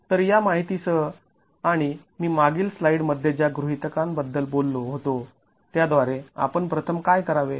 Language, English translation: Marathi, So, with this information and the assumptions that I talked of in the previous slide, what do we do first